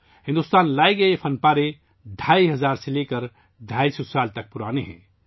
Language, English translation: Urdu, These artefacts returned to India are 2500 to 250 years old